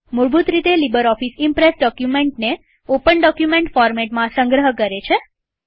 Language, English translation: Gujarati, By default the LibreOffice Impress saves documents in the Open document format